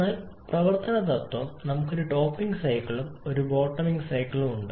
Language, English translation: Malayalam, But the working principle that we have one topping cycle and one bottoming cycle and their clubs